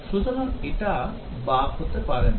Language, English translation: Bengali, So, it does not lead to a bug